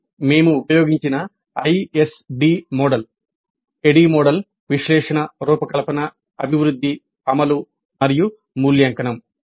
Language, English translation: Telugu, This is the ISD model that we have used at a model, analysis, design, develop and implement and evaluate